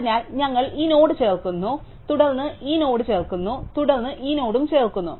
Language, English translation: Malayalam, So, we add this node, then we add this node, then we add this node